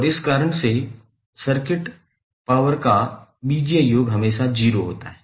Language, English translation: Hindi, And for this reason your algebraic sum of power in a circuit will always be 0